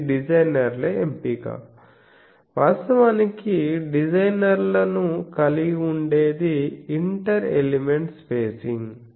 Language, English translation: Telugu, So, this is the designers choice that where he will put actually what designers have that is the inter element spacing